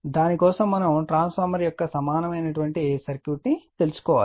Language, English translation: Telugu, For that we need to know the equivalent circuit of a transformer, right